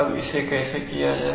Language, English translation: Hindi, Now how to do that